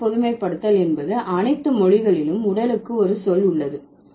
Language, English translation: Tamil, The first generalization is that all languages have a word for body, right